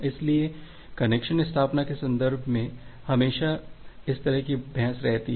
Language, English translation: Hindi, So, in the context of connection establishment, we always has this kind of debate